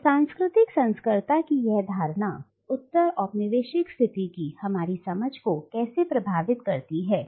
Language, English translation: Hindi, So how does this notion of cultural hybridity impact our understanding of the postcolonial condition